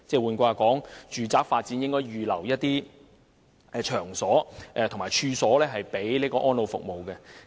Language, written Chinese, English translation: Cantonese, 換言之，住宅發展項目應預留場所及處所作安老服務之用。, In other words residential developments should have sites and premises reserved for the provision of elderly services